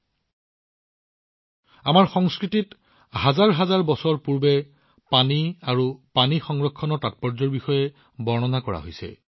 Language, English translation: Assamese, Think about it…the importance of water and water conservation has been explained in our culture thousands of years ago